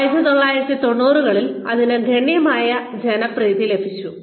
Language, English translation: Malayalam, It came substantial popularity in the 1990